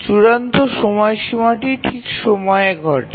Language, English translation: Bengali, So the deadline occurs exactly at the period